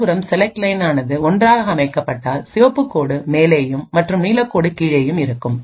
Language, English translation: Tamil, On the other hand, if the select line is set to 1 then it is the red line which goes on top and the blue line which is at the bottom